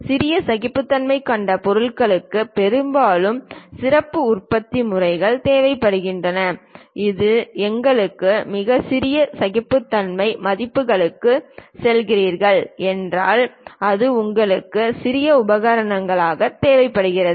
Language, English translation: Tamil, Parts with smaller tolerances often require special methods of manufacturing, its not only about cost if you are going for very small tolerance values to prepare that itself we require special equipment